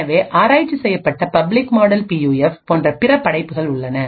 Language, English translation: Tamil, So, there are being other works such as the public model PUF which has been researched